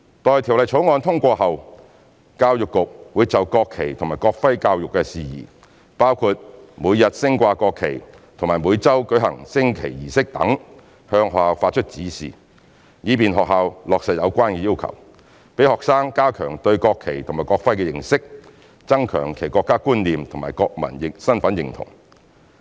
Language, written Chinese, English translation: Cantonese, 待《條例草案》通過後，教育局會就國旗及國徽教育事宜，包括每天升掛國旗及每周舉行升旗儀式等，向學校發出指示，以便學校落實有關要求，讓學生加強對國旗及國徽的認識，增強其國家觀念和國民身份認同。, Upon the passage of the Amendment Bill EDB will give directions to schools on matters relating to education in national flag and national emblem including the daily display of the national flag and the weekly conduct of national flag raising ceremony with a view to facilitating schools to implement relevant requirements to strengthen students knowledge on national flag and national emblem as well as foster students national sense and sense of national identity